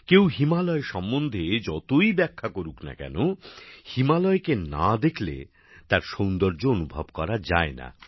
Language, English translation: Bengali, No matter how much one talks about the Himalayas, we cannot assess its beauty without seeing the Himalayas